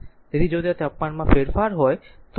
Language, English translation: Gujarati, So, if there if there are changes in the temperature so, R will change